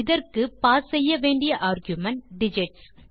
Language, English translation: Tamil, For this we have to pass an argument digits